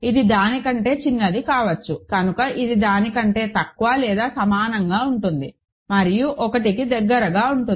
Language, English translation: Telugu, It is could be smaller than that, so it is less than or equal to that and all the way to 1 you get ok